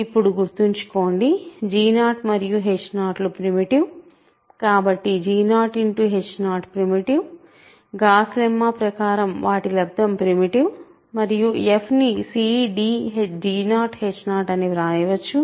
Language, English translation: Telugu, Now, remember, g 0, h 0 is primitive because g 0 and h 0 are primitive, their product is primitive like Gauss lemma and f is cd g 0 h 0